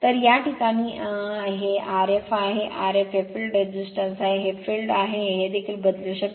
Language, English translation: Marathi, So, in this case and this is R f, R f is the field resistance, this is the field that this you also you can vary